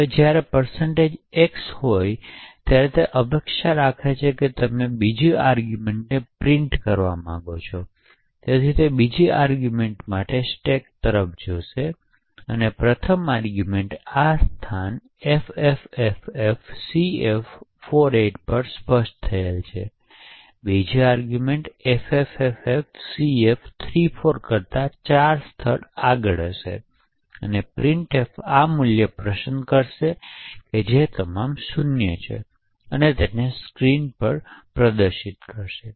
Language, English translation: Gujarati, So when there is a %x it expects that you want to print the second argument to printf and therefore it looks to the stack for the second argument, now since the first argument is specified at this location ffffcf48 the second argument would be four locations ahead of this that is at ffffcf34 and printf would pick up this value which is all zeroes and display it on the screen